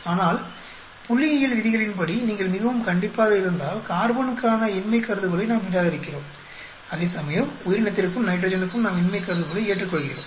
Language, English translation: Tamil, But if you go very strictly by the statistical rules we reject the null hypothesis only for the carbon where as we accept the null hypothesis for the organism and nitrogen